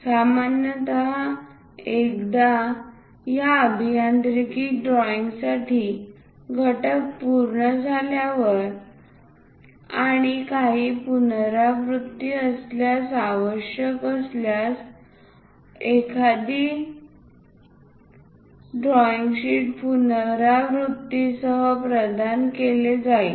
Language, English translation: Marathi, Usually, for these engineering drawings once component is meet and if there is any revision required one more drawing sheet will be provided with the revision